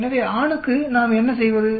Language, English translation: Tamil, So for male what do we do